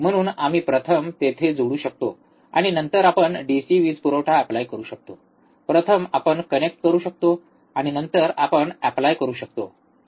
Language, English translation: Marathi, So, we can first connect it here, and then we can apply the DC power supply, first we can connect and then if you apply, alright